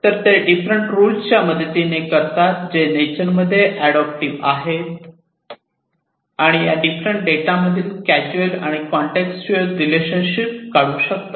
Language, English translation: Marathi, So, that they do with the help of different rules, which are adaptive in nature, and which are able to extract the causal and contextual relationships between these different data